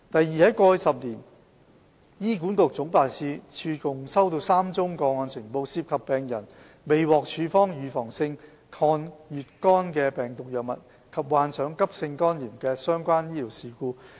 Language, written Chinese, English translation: Cantonese, 二在過去10年，醫管局總辦事處共收到3宗個案呈報，涉及病人未獲處方預防性抗乙肝病毒藥物及患上急性肝炎的相關醫療事故。, 2 In the past 10 years HA Head Office received a total of three reported cases related to medical incidents in which patients were not prescribed anti - HBV prophylaxis and subsequently suffered from acute hepatitis